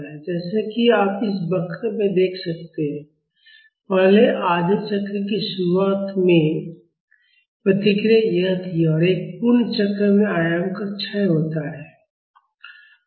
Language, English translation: Hindi, As you can see in this curve, the response at the beginning of first half cycle was this and in one full cycle the amplitude decays